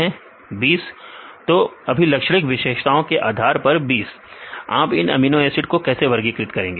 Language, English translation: Hindi, 20 depending upon the characteristic features, how you classify these amino acids